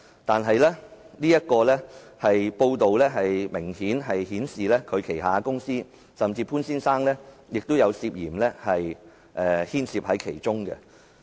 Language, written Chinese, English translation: Cantonese, 但是，這報道明顯顯示他名下的公司甚至潘先生本人也涉嫌牽涉其中。, The report clearly hinted that the company or even Mr POON himself might be involved in the case